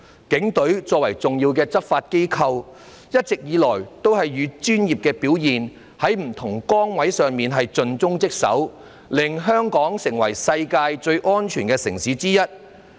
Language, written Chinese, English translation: Cantonese, 警隊作為重要的執法機構，一直以來也是以專業表現，在不同崗位上盡忠職守，令香港成為世界上最安全的城市之一。, The Police as an important law enforcement agent have all along discharged their duties faithfully by delivering professional performance in their positions thus making Hong Kong one of the safest cities in the world